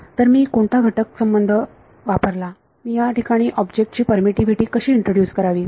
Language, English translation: Marathi, So, what is a constitutive relation I used, how would I introduce the permittivity of the object in here